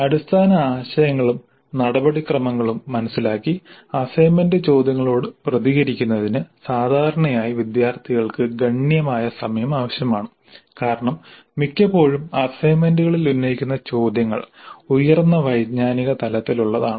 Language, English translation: Malayalam, Basically take home kind of assignments and the responding to the assignment questions usually requires considerable time from the students in understanding the underline concepts and procedures because most of the time the questions posed in the assignments are at higher cognitive levels